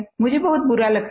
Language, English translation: Hindi, I feel very bad